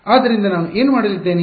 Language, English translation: Kannada, So, what I am going to do